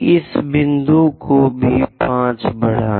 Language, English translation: Hindi, Extend this 5 also this point